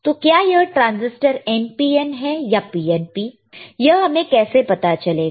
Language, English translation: Hindi, So, whether the transistor is NPN or whether the transistor is PNP, how we can know